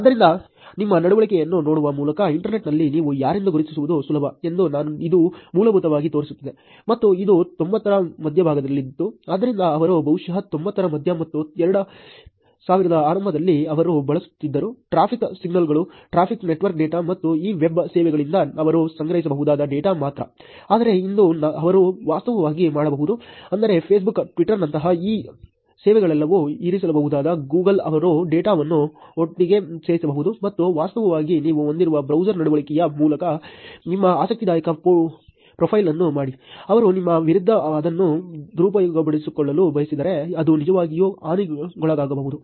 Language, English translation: Kannada, So, it basically shows that it is easily possible to identify who you are on the internet just by looking at your behaviour and this was also in the mid nineties, so they were probably, mid nineties and early two thousands, they were using only the traffic signals, only the traffic network data and the data that they could collect from these web services, but today they can actually, meaning these services like Facebook, Twitter all of them can put the – Google they can put the data together and actually make interesting profile of yours with just the browser behavior that you have, which can be actually pretty damaging in case, if they want to misuse it against you